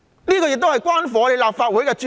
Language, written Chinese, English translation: Cantonese, 主席，這亦關乎立法會的尊嚴。, President this is also to do with the dignity of the Legislative Council